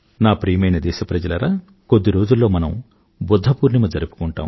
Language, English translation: Telugu, My dear countrymen, a few days from now, we shall celebrate Budha Purnima